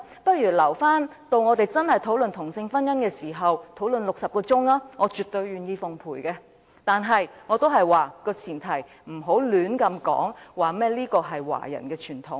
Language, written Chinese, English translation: Cantonese, 不如留待我們真正討論同性婚姻時才進行60小時的辯論，我絕對願意奉陪；但是，我仍然要說，前提是不要亂說這是華人的傳統。, We had better wait until same - sex marriage is really tabled for discussion and a 60 - hour debate could then be held . It would absolutely be my pleasure to debate it with Members . But I still have to say that the premise is Do not recklessly say that this is a Chinese tradition